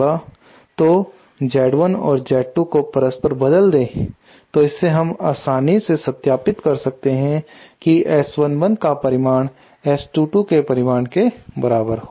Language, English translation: Hindi, So Z 1 and Z 2 will be interchanged and from this we can easily verify that S 1 1 [mag] magnitude will be same as S 2 2 magnitude